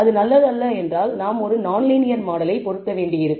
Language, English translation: Tamil, If it is not good then perhaps we may have to go and fit an non linear model